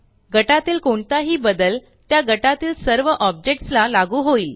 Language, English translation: Marathi, Any change made to a group is applied to all the objects within the group